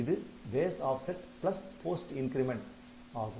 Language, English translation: Tamil, So, it is base offset plus post increment